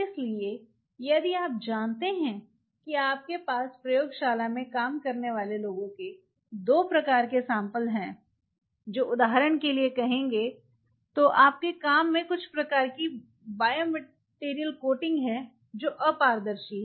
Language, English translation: Hindi, So, if you know that you have 2 kind of samples its people working in the lab one which will be say for example, your work some kind of biomaterial coating which is opaque